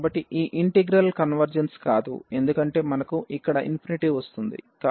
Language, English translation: Telugu, So, this integral does not converge because we are getting the infinity here